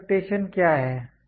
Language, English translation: Hindi, What is expectation